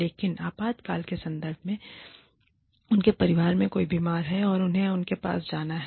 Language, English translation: Hindi, But, in terms of emergency, somebody is sick in their family, and they have to attend to them